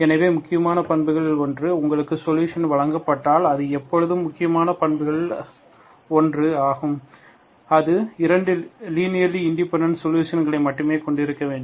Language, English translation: Tamil, So one of the important properties is if you are given one solution and it always, one of the important properties is that it should have only 2 linearly independent solutions